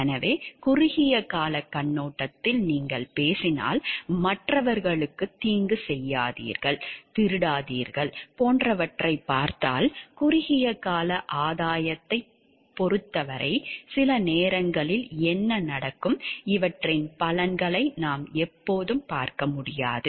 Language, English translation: Tamil, So, if you see from the maybe short term perspective like if you are talking of do not harm others do not steal etc, in terms of short term gain maybe sometimes what happens we are always not able to see the benefit coming out of these following these rules